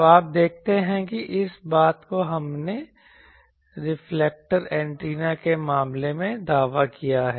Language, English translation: Hindi, So, you see that this thing we have claimed in case of reflector antennas